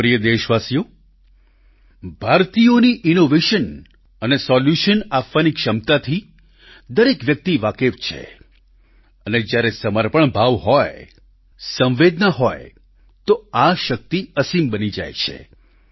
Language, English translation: Gujarati, My dear countrymen, everyone acknowledges the capability of Indians to offer innovation and solutions, when there is dedication and sensitivity, this power becomes limitless